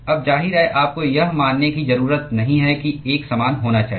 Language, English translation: Hindi, Now, of course, you do not have to assume that to be uniform